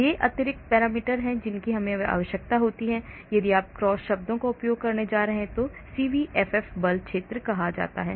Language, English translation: Hindi, these are extra parameters which we require, if you are going to use cross terms and is called CVFF force field